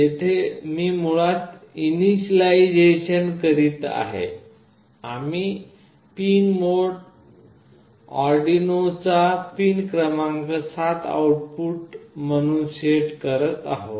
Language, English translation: Marathi, Here I am basically doing the initialization, we are setting pin mode, pin 7 of Arduino as output